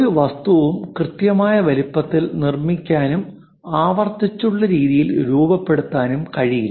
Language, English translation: Malayalam, No object will be made with precise size and also shape in a repeated way